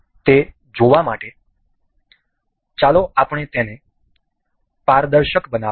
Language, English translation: Gujarati, To see that, let us just make this transparent